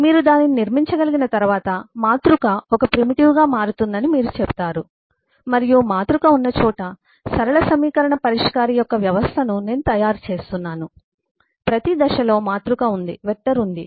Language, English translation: Telugu, once you have been able to build that up, then you say matrix becomes a primitive and I’m making a system of eh, linear equation, solver, where matrix is there, vector is there at every stage